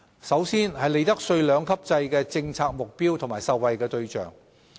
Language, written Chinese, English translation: Cantonese, 首先是利得稅兩級制的政策目標和受惠對象。, The first concern is the policy objective and beneficiaries of the two - tiered profits tax rates regime